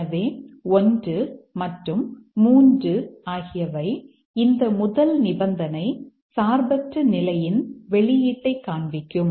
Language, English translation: Tamil, So, one along with three will show the independent influence of this condition, first condition on the outcome